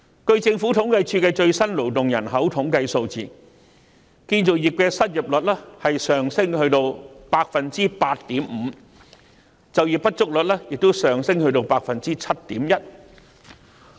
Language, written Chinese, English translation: Cantonese, 根據政府統計處的最新勞動人口統計數字，建造業的失業率已升至 8.5%， 就業不足率亦升至 7.1%。, According to the latest labour force statistics released by the Census and Statistics Department the unemployment rate in the construction sector has risen to 8.5 % whereas the underemployment rate has also risen to 7.1 %